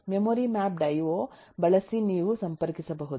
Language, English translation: Kannada, you could connect using a memory mapped io